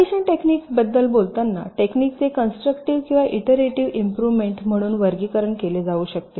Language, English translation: Marathi, so, talking about the partitioning techniques, broadly, the techniques can be classified as either constructive or something called iterative improvement